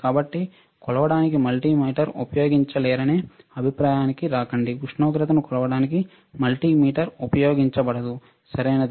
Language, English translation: Telugu, So, do not come under the impression that the multimeter cannot be used to measure frequency; the multimeter cannot be used to measure temperature, right